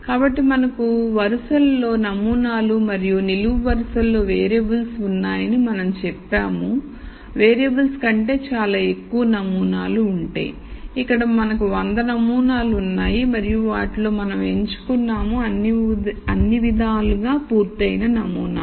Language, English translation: Telugu, So, we said we have samples in rows and variables in columns, we said if there are a lot more samples than variables which is the case here because we have 100 samples and out of those we have picked out samples that are complete in all respect